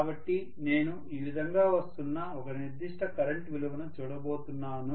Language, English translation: Telugu, So I am going to look at one particular current value coming up like this